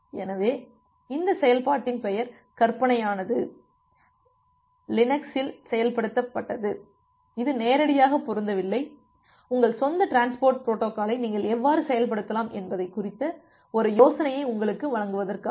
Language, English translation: Tamil, So, this name of this function are hypothetical not directly matches to it what is implemented in the Linux, just to give you an idea about how you can implement your own transport protocol